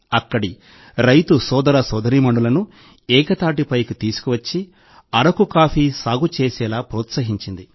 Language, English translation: Telugu, It brought together the farmer brothers and sisters here and encouraged them to cultivate Araku coffee